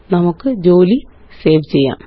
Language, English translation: Malayalam, Let us save our work now